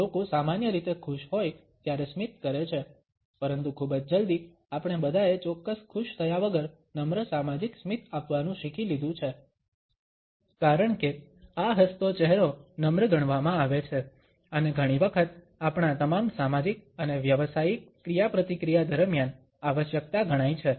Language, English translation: Gujarati, People normally smile when they are happy, but very soon all of us learned to pass on polite social smiles without exactly feeling happy, because as I smiling face is considered to be polite and often considered to be a necessity during all our social and professional interaction